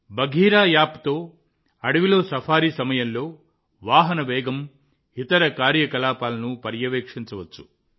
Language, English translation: Telugu, With the Bagheera App, the speed of the vehicle and other activities can be monitored during a jungle safari